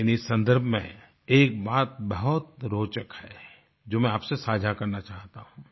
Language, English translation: Hindi, In this context I feel like sharing with you something very interesting